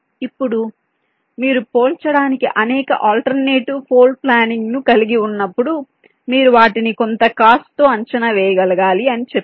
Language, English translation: Telugu, now i had said that when you have a number of alternate floor plans ah to compare, you should be able to just evaluate them with respect to some cost